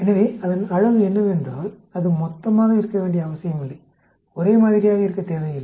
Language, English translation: Tamil, So, the beauty of it is, it need not be the total, need not be the same